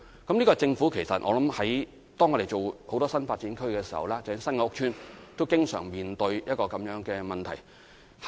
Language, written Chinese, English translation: Cantonese, 當政府發展很多新發展區的時候，包括發展新的屋邨時，也經常面對這樣的問題。, This is also the problem often faced by the Government in developing many NDAs including new housing estates